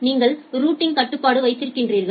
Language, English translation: Tamil, Then you have the routing control